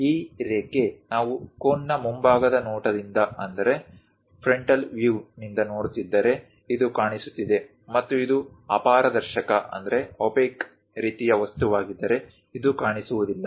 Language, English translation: Kannada, This line, if we are looking from frontal view of a cone, this is visible; and this one may not be visible if it is opaque kind of object